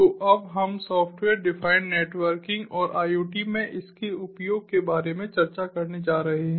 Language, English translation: Hindi, so now we are going to discuss about software defined networking and ah and its use in iot